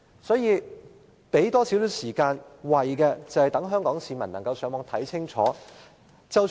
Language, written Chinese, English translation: Cantonese, 多預留一點時間，可以讓市民上網了解清楚。, The public can go online to understand clearly if a little more time has been reserved